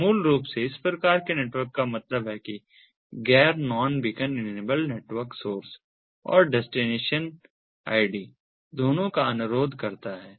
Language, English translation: Hindi, so these basically network this typeof networkthat means the non beacon enabled network request both the source and the destination ids